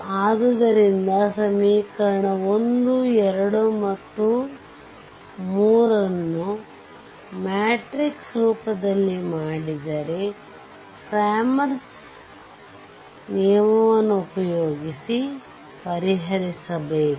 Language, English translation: Kannada, So, equation 1; equation 1, 2 and equation 3, you have to solve, if you make it in matrix form and solve any way Clammer’s rule and anyway you want, right